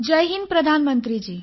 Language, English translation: Marathi, Jai Hind, Hon'ble Prime Minister